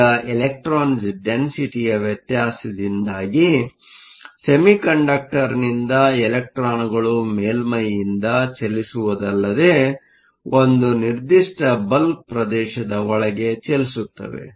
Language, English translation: Kannada, Now, because of the difference in electron densities, electrons from the semiconductor not only move from the surface but they also move from a certain region within the bulk